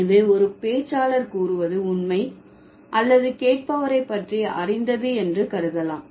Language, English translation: Tamil, Like we assume that it is true or it's known by the listener